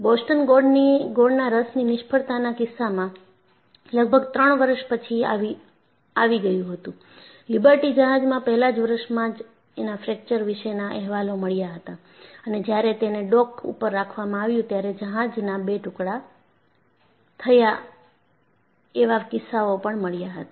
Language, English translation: Gujarati, In the case of Boston molasses failure, it wasabout three years later; in Liberty ship, even from the first year onwards, you had started getting reports about fractures, and also the case ofship breaking into two when it was kept at the dock